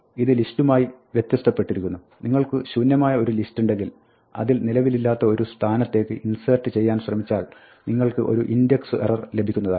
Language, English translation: Malayalam, This is in contrast with the list, where if you have an empty list and then try to insert at a position which does not exist, you get an index error